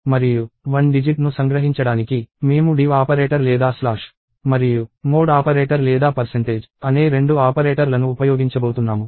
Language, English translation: Telugu, And to extract one digit, I am going to use two operators namely, the div operator or slash and mod operator or percentage